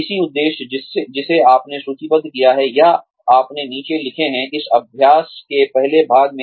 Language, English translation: Hindi, The same objective, that you have listed or, you have written down, in the first part of this exercise